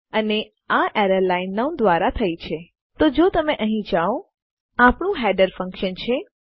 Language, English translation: Gujarati, And this error has been generated by line 9, which if you go here, is our header function